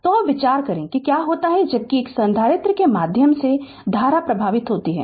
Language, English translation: Hindi, So, now you know let us consider what happens as current flows through a capacitor right